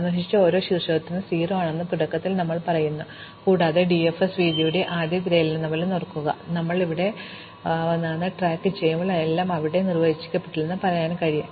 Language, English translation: Malayalam, So, initially we say for every vertex visited is 0, and remember like in BFS breadth first search we want to keep track of where we came from, so we will say that everything has an undefined parent